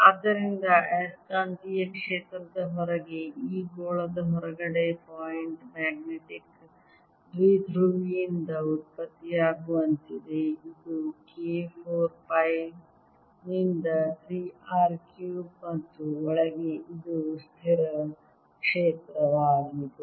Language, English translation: Kannada, so outside the magnetic field, outside this sphere is like that produced by a point magnetic dipole with magnitude k four pi by three r cubed, and inside it's a constant field